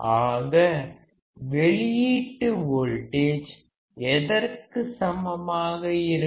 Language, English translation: Tamil, So, what will the output voltage be equal to